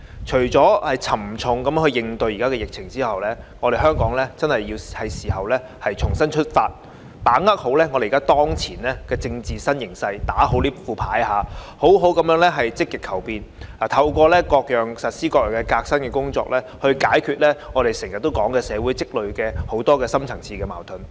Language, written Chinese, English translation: Cantonese, 除了沉着應對疫情外，香港是時候重新出發，把握好當前的政治新形勢，所謂"打好這副牌"，好好地積極求變，透過實施各樣革新的工作，解決我們經常提到的社會積累的深層次矛盾。, Besides fighting the pandemic with aplomb Hong Kong should start afresh right now and leverage the new political situation at present . Just as a saying goes we should play our cards right . We need to do a proper job in actively seeking changes and resolving the oft - mentioned problem the deep - seated conflicts accumulated in society through the implementation of various reforms